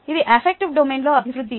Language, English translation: Telugu, this is development in the affective domain